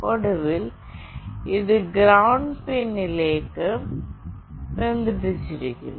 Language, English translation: Malayalam, And finally, this one is connected to the ground pin